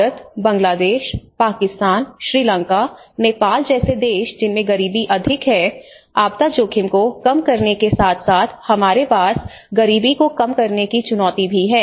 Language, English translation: Hindi, Countries like India which are more to do with the poverty because India, Bangladesh, Pakistan, Sri Lanka, Nepal so we have along with the disaster risk reduction we also have a challenge of the poverty reduction